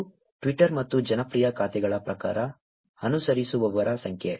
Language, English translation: Kannada, This is Twitter and number of followers in terms of popular accounts